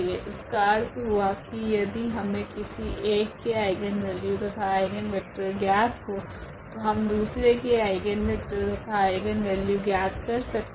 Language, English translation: Hindi, So, meaning if we know the eigenvalues and eigenvector of one, we can get the eigenvalues, eigenvectors of the other